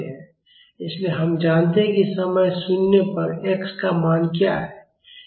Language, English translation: Hindi, So, we know what is the value of x at time is equal to 0